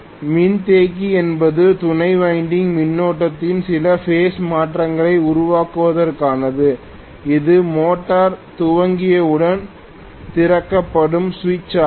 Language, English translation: Tamil, The capacitor is meant for creating some phase shift in the auxiliary winding current and this is the switch which will be opened once the motor starts